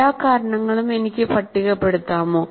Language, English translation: Malayalam, Can I list all the causes